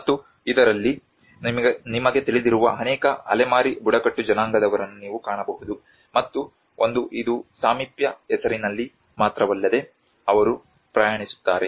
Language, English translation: Kannada, \ \ And in this, you can find many nomadic tribes you know roaming around and one is it is also just not only in the name proximity but they do travel